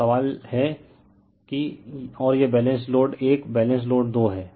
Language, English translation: Hindi, So, question is and this is Balance Load 1, Balance Load 2